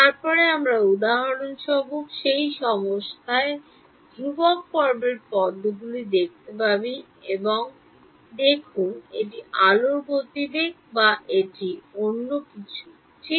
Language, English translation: Bengali, Then we can for example, in that condition look at the locus of constant phase and see is it speed of light or is it something else ok